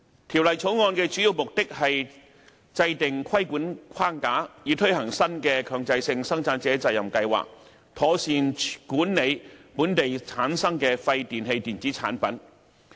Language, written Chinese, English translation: Cantonese, 《條例草案》的主要目的是制訂規管框架，以推行新的強制性生產者責任計劃，妥善管理本地產生的廢電器電子產品。, The Bill aimed mainly at putting in place a regulatory framework for implementing the new PRS for the proper management of WEEE generated in Hong Kong